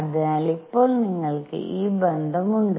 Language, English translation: Malayalam, So now you have therefore, that this relationship